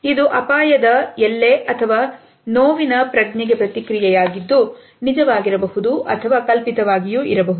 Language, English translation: Kannada, It is a response to a sense of thread danger or pain which may be either real or an imagined one